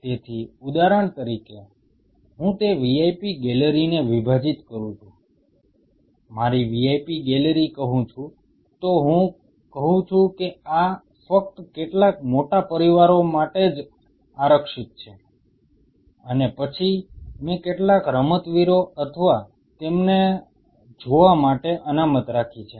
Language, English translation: Gujarati, So, say for example, I divide that vip gallery, say my vip gallery then I say this is only exclusively reserved for families of some big it is, and then I reserved section for some sportsmen or something